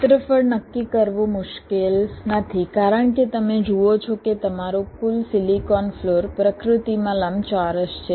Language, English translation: Gujarati, ok, determining area is not difficult because you see your total silicon floor is rectangular in nature